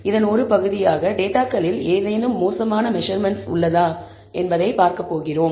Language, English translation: Tamil, As a part of this, we are going to look at are there any bad measurements in the data